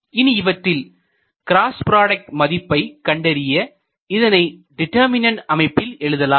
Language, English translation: Tamil, So, when you write this cross product it is possible to write it in a determinant form